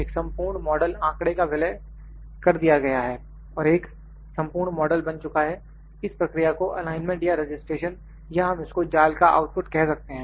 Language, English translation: Hindi, A complete model data is merged and the complete model is formed this process is called alignment or registration or we can call as mesh output